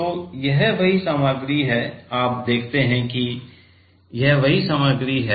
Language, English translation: Hindi, So, this is the same material, you see this is the same material